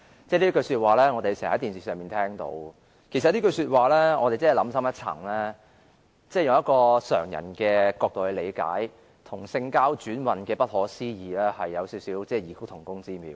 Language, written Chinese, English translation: Cantonese, 這句說話我們經常在電視上聽到，其實想深一層，以常人的角度來理解，這句說話與性交轉運之不可思議有異曲同工之妙。, We can often hear it on television . In fact if we think about it more in depth and understand it from the perspective of an average man this remark is as inconceivable as having sexual intercourse as a way to change a persons destiny